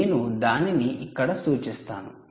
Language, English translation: Telugu, i will just denote here